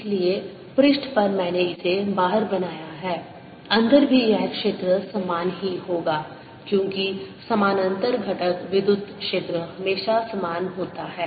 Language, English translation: Hindi, just inside also the field would be the same, because parallel component electric field is always the same